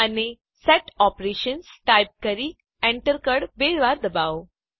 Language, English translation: Gujarati, And type Set Operations: and press Enter twice